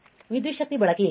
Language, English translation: Kannada, What is the power consumption